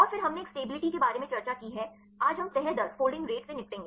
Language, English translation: Hindi, And then we have discussed about a stability today we will deal with the folding rate